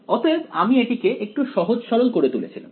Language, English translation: Bengali, So, we made it a little bit simpler